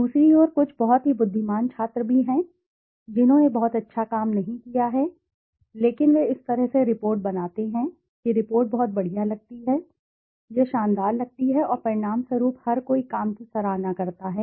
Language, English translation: Hindi, On the other hand, there are also few very intelligent students who have not done a very great work but they make the report in such a way that the report looks awesome, it looks fantastic and as a result everybody appreciates the work